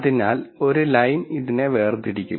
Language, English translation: Malayalam, So, a line will separate this